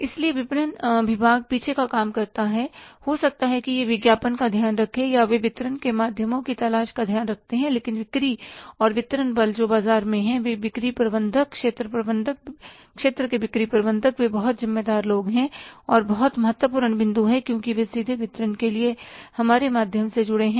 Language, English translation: Hindi, So, marketing department does the back and job, maybe they take care of the advertising or they take care of say looking for the channels of distribution but the sales and distribution force who are there in the market, sales managers, area managers, area sales manager, they are very, very responsible people and very very important point because they are directly connected to our channel of distribution